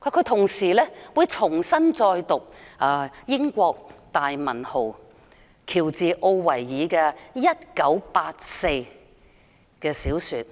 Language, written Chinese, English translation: Cantonese, 他會重讀英國大文豪喬治.奧威爾的小說《一九八四》。, He said that he would re - read 1984 a novel of the great writer George ORWELL